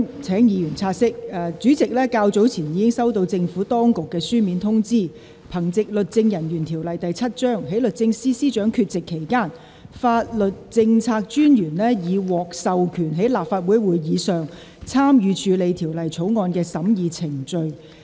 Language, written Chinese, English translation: Cantonese, 請議員察悉，本會主席較早前已收到政府當局書面通知，憑藉《律政人員條例》第7條，在律政司司長缺席期間，法律政策專員已獲授權在立法會會議上參與處理《條例草案》的審議程序。, Will Members please note that the President has received a notification in writing from the Administration earlier in which it is stated that pursuant to section 7 of the Legal Officers Ordinance the Solicitor General has been authorized to participate in the deliberation process of the Bill at this Legislative Council meeting during the absence of the Secretary for Justice